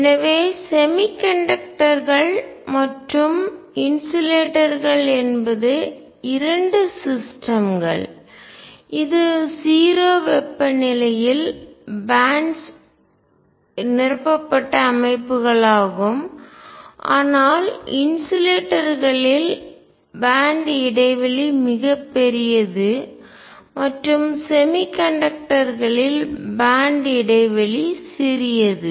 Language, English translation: Tamil, So, semiconductors and insulators are both systems where bands are filled at 0 temperature, but in insulators the band gap is very large, and in semiconductors band gap is small